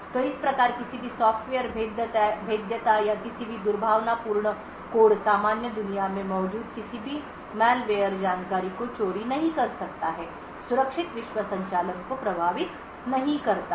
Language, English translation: Hindi, So, thus any software vulnerability or any malicious code any malware present in the normal world cannot steal information ok not affect the secure world operations